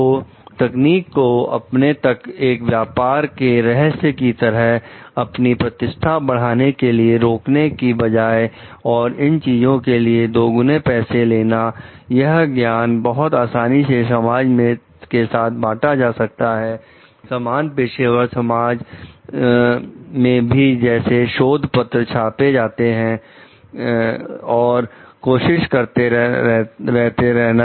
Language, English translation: Hindi, So, instead of withholding this technique as a trade secret to enhance one prestige and maybe to charge more money for these things, this knowledge this sergeant could very well share it to the community to the same professional community through like research papers, published and trying